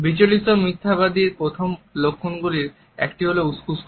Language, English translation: Bengali, One of the first sign of nervous liar is fidgeting